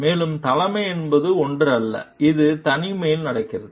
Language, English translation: Tamil, And leadership is not something, which happens in isolation